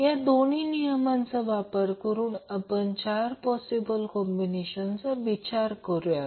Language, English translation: Marathi, So, using these 2 rules, we can figure out that there are 4 possible combinations